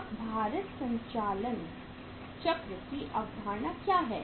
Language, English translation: Hindi, Now what is the concept of weighted operating cycle